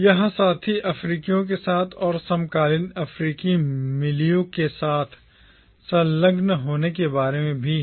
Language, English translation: Hindi, It is also about engaging with the fellow Africans and with the contemporary African milieu